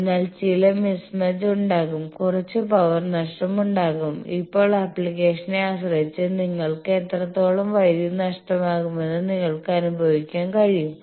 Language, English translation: Malayalam, So, there will be some mismatch, there some power loss, there now depending on application you can that how much power loss you can you are ready to suffer